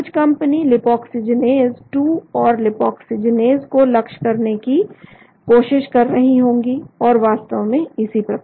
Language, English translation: Hindi, Some companies may be trying to target both cyclooxygenase 2 and lipoxygenase and so on actually